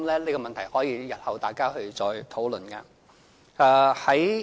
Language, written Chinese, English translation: Cantonese, 這問題日後大家可以再討論。, I think Members can discuss this issue again in future